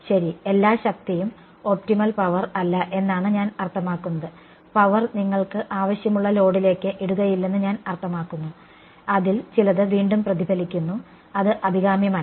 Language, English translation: Malayalam, Right so, all the power is not I mean the optimal power is not dumped into the whatever load you want some of its gets reflected back which is undesirable right